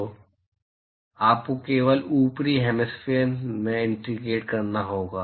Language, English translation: Hindi, So, you have to integrate only in the upper hemisphere